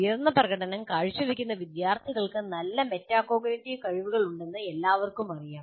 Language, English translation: Malayalam, And it is quite known, high performing students have better metacognitive skills